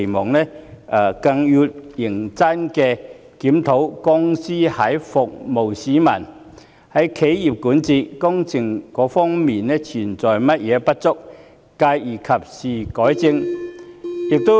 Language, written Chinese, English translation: Cantonese, 此外，港鐵公司更要認真檢討在服務市民、企業管治及工程等方面存在的不足之處，繼而及時改正。, Besides MTRCL should conduct a serious review of the inadequacies in areas such as its provision of services for people corporate governance and works projects and take timely rectifications